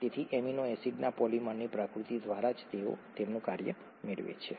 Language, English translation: Gujarati, So by the very nature of the polymers of amino acids they get their function